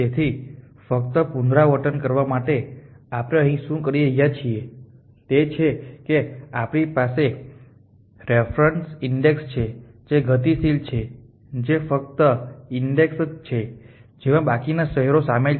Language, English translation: Gujarati, So, just repeat what we are doing here is that we have a reference index which is dynamic which is only the index which have the new cities the remaining cities